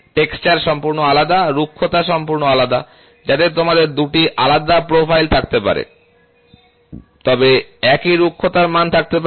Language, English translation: Bengali, The textures are completely different, the roughness is completely different, so you can have 2 different profiles, but have the same roughness value